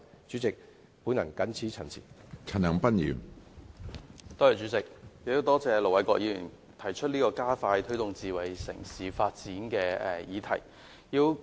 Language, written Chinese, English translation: Cantonese, 主席，多謝盧偉國議員提出這個加快推動智慧城市發展的議案。, President I thank Ir Dr LO Wai - kwok for proposing this motion on expediting the promotion of smart city development